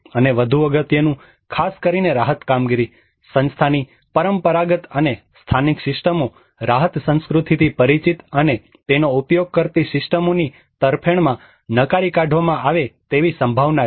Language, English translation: Gujarati, And more importantly especially the relief operation, the traditional and local systems of organization are likely to be rejected in favour of systems familiar to and exercised by the relief culture